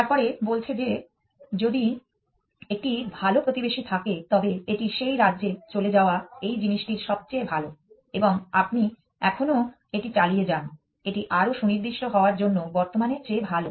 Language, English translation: Bengali, Then, saying that if there is a better neighbor it moves to that state next is best of this thing and you keep doing this still next is better than current actually to be more precise